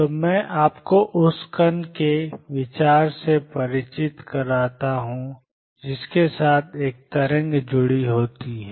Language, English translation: Hindi, So, I am introduced you to the idea of particle having a wave associated with it